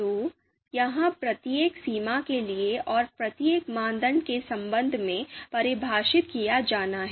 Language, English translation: Hindi, So this is to be defined for each threshold and with respect to each criterion